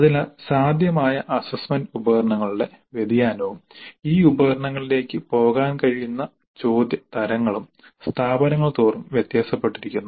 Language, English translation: Malayalam, So the variation of the possible assessment instruments and the type of questions that can go into these instruments varies dramatically across the institutes